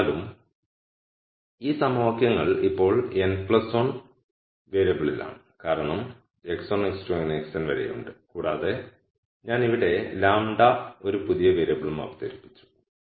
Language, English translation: Malayalam, Nonetheless these equations are in now n plus 1 variable because I have my x 1 x 2 all the way up to x n and I have also introduced a new variable lambda right here